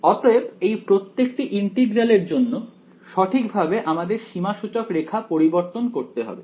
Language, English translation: Bengali, So, for each of these integrals, I have to modify the contour in the correct way ok